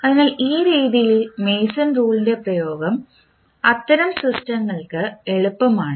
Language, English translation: Malayalam, So, in this way the application of Mason’s rule is easier for those kind of systems